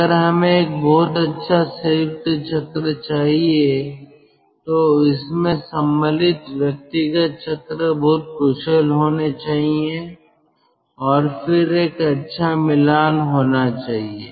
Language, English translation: Hindi, if we have to have a very good combined cycle, then individual cycles should be very efficient and then there should be a good matching